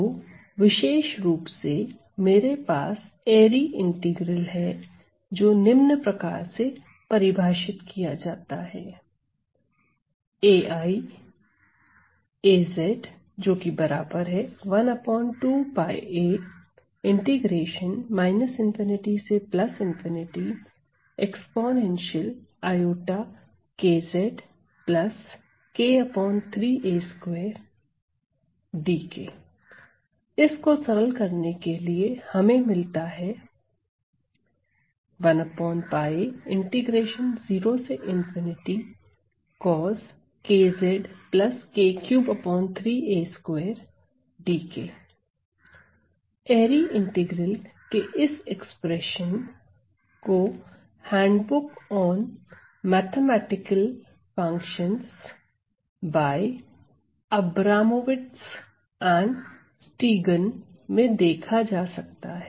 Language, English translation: Hindi, So, this can be found from, this expression can be found from the handbook; see the expression for this airy integral on handbook of mathematical functions, functions by Abramowitz and Stegun